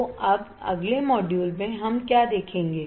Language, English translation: Hindi, So, now in the next module what we will see